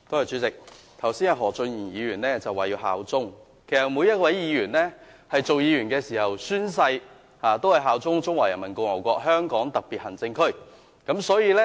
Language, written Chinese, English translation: Cantonese, 主席，何俊賢議員剛才說要效忠，其實每一位議員也宣誓效忠中華人民共和國香港特別行政區。, President just now Mr Steven HO mentioned allegiance . Actually every Member has pledged allegiance to the Hong Kong Special Administrative Region of the Peoples Republic of China